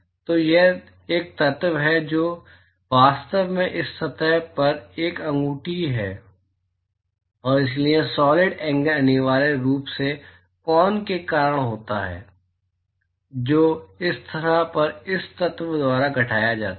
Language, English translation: Hindi, So, it is a element which is actually a ring on this surface and so, the solid angle is essentially because of the cone which is subtended by this element on this surface